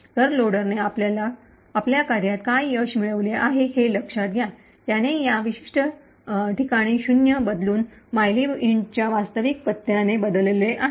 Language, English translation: Marathi, So, notice that the loader has achieved on his job, it has replaced zero in this location with the actual address of mylib int